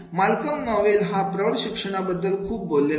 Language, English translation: Marathi, So Malcolm Knowles is the most has talked about this adult learning theory